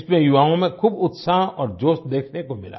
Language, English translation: Hindi, A lot of enthusiasm was observed in the youth